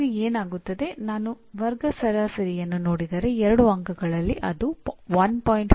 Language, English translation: Kannada, So what happens, out of the 2 marks if I look at the class average, it is 1